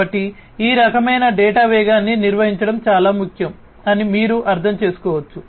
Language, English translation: Telugu, So, as you can understand that handling this kind of velocity of data is very important